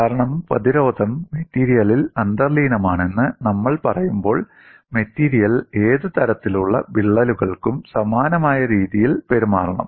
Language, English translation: Malayalam, This cannot be possible, because when we say the resistance is inherent in the material, the material has to behave in a similar fashion for any lengths of cracks